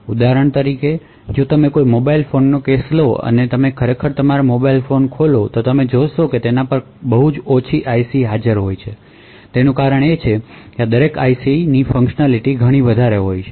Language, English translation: Gujarati, So for example if you take the case of a mobile phone and you actually open up your mobile phone you would see that there are very few IC’s present on it and the reason being is that each of this IC’s have a lot of different functionality